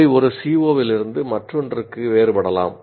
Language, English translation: Tamil, So they can differ from one COO to the other